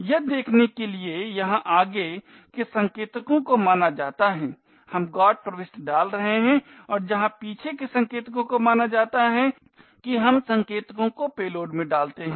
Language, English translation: Hindi, In see in where the forward pointers is supposed to be we are putting the GOT entry and where the back pointer is supposed to be we have putting the pointer to the payload